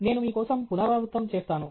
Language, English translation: Telugu, I will just repeat it for you